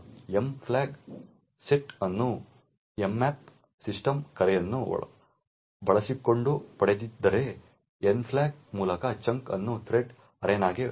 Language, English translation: Kannada, The M flag set if the chunk was obtained using an mmap system call by the N flag is set if the chunk along to a thread arena